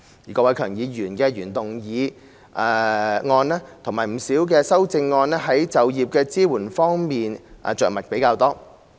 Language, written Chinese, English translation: Cantonese, 郭偉强議員的原議案及不少修正案在就業支援方面着墨較多。, The original motion proposed by Mr KWOK Wai - keung and many amendments to it have made relatively more mention of employment support